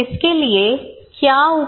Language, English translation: Hindi, Then what is the solution for this